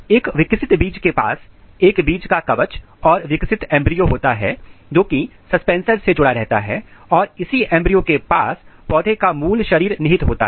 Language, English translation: Hindi, This is a mature seeds where you have a seed coat and proper embryo which is attached with the suspensor and in this embryo we have the basic body plants